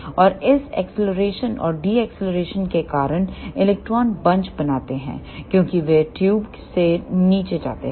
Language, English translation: Hindi, And because of this acceleration and deceleration, electrons form bunches as they move down the tube